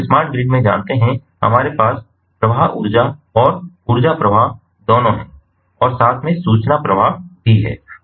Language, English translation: Hindi, you know, in a smart grid we have both the flows energy flows and ah, a energy flow and ah also the information flow together